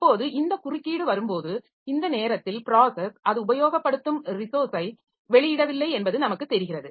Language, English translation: Tamil, So, now when this interrupt comes then we know that the process has not released the resource by this time